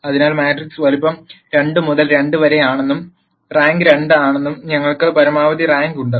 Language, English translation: Malayalam, So, we have maximum rank that matrix size is 2 by 2, and the rank is 2